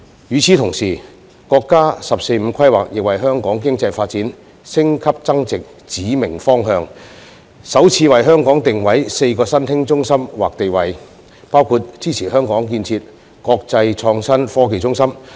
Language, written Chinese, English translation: Cantonese, 與此同時，國家"十四五"規劃亦為香港經濟發展的升級增值指明方向，首次為香港設立4個新興中心或地位定位，其中包括支持香港建設國際創新科技中心。, Meanwhile the National 14th Five - Year Plan has also set a clear direction for Hong Kongs economic development to upgrade and move up the value chain . For the first time it establishes four emerging centres or status for Hong Kong including the support for Hong Kong to develop into an international innovation and technology hub